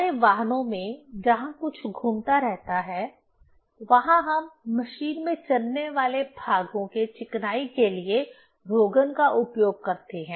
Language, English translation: Hindi, In our vehicles where something is rotating, there we use lubricant for lubrication of moving parts in machine